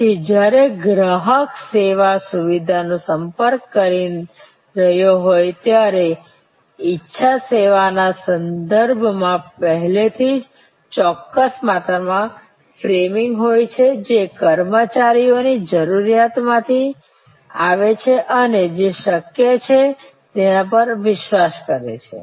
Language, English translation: Gujarati, So, when the customer is approaching the service facility, there is already a certain amount of framing with respect to desire service, which comes from personnel need and believe about what is possible